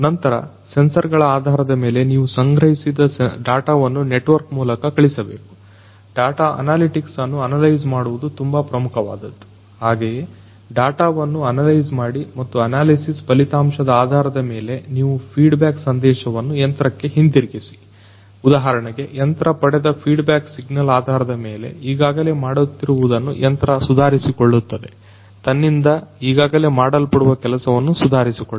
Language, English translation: Kannada, Then, based on the sensors sensor data that is collected you need to send the data through a network, analyze the data analytics is very important consequently analyze the data and based on the results of the analysis you send a feedback message back to the machine for example, and based on the feedback signal that is received by the machine, the machine is going to improve upon what it is already doing in a to improve upon their existing job that is being done by it right